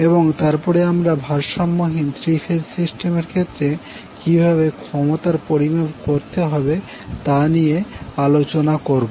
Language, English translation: Bengali, Now to calculate the power in an unbalanced three phase system, what we require